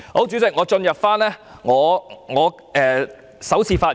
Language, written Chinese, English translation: Cantonese, 主席，我現進入我的首次發言。, Chairman I will now speak for the first time